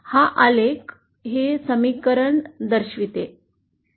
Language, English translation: Marathi, So this graph represents this equation